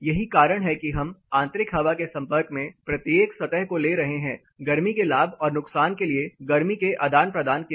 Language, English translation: Hindi, That is why we are talking each surface expose to the interior surface, indoor air, for heat gains and losses heat takes into take place